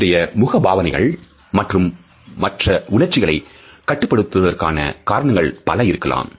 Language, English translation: Tamil, There are different reasons because of which we learn to control our facial expression of emotion